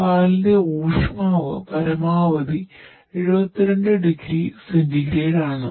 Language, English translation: Malayalam, Temperature of a milk is maximum is 72 degree centigrade